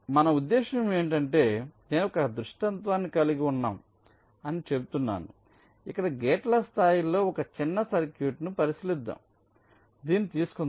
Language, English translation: Telugu, what we mean is that, let say, i can have a scenario where lets consider a small circuit at the level of the gates, lets take this